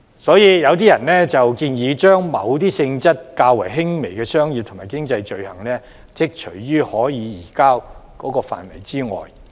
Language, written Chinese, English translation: Cantonese, 所以，有人建議將某些性質較輕的商業及經濟罪類剔除於可以移交的範圍之外。, Hence there are suggestions to exclude certain items of less serious commercial or economic offences from the list of extraditable offences